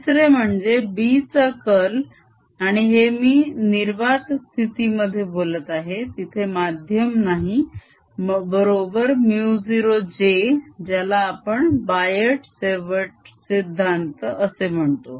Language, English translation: Marathi, third, we have learnt that curl of b and this i am talking in free space, there's no medium in vacuum is equal to mu zero, j, which you can say is bio savart law